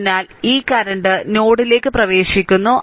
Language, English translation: Malayalam, So, this current is entering into the node